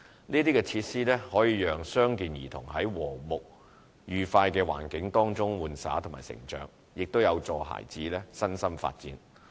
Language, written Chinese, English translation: Cantonese, 這些設施可讓傷健兒童在和睦愉快的環境中玩耍和成長，也有助孩子的身心發展。, These facilities enable children with or without disabilities to play and grow up in a harmonious and happy environment and promote their physical and psychological development